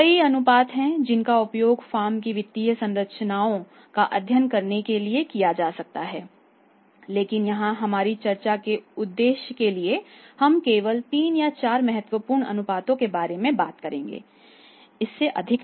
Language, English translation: Hindi, There a number of ratios which can be used to study the financial structures of the firm but here for our purpose the purpose of our discussion we will only talk about the 3,4 ratios maximum not more than that right